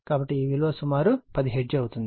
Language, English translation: Telugu, So, this will be approximately 10 hertz